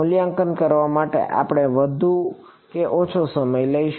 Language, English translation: Gujarati, Which one we will take more or less time to evaluate